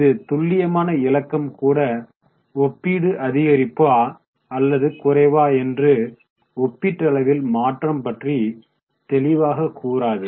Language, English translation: Tamil, Now even this absolute figure doesn't tell you about what is relatively relative change, relative increase or decrease